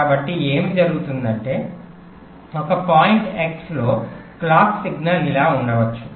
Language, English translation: Telugu, so what might happen is that in a point x the clock signal might be like this